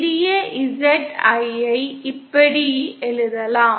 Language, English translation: Tamil, Small Z can be written like this